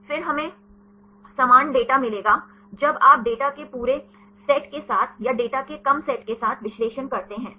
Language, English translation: Hindi, Then we will get similar data; when you analyze with a whole set of data or with the reduced set of data